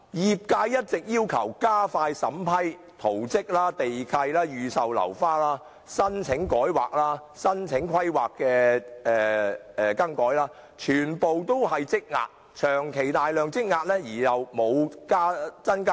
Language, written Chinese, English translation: Cantonese, 業界一直要求加快審批圖則、地契、預售樓花、改劃申請、更改規劃的申請等，均全部長期大量積壓，但人手卻未有增加。, The sectors concerned have long been asking to expedite the approval process relating to plans title deeds applications for pre - sale of uncompleted flats and changes in the planned uses of sites etc . There is a backlog of such cases but without any increase in manpower